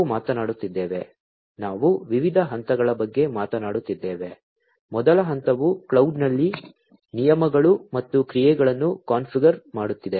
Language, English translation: Kannada, We are talking about; we are talking about different steps; step one is configuring the rules and actions in the cloud